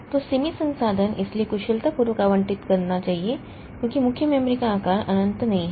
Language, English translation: Hindi, So, limited resource so must allocate efficiently because main memory size is not infinite